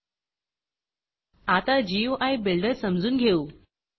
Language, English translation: Marathi, Lets get familiar with the GUI builder